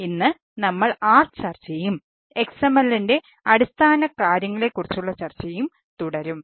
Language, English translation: Malayalam, so today we will continue that, that discussion, and on this basics of xml